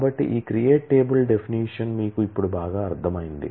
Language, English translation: Telugu, So, this create table definition you understand well by now